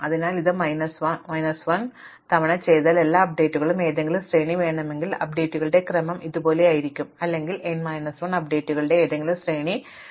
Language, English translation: Malayalam, Therefore, if we do this thing n minus 1 time, the claim is that if I want any sequence of updates I might find the sequence of updates should was like this or a might find that any sequence of n minus 1 updates which is a legal path will be represented in this case